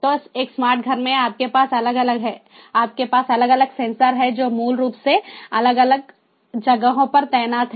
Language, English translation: Hindi, so in a smart home, you have different, you have different sensors that are basically deployed in different places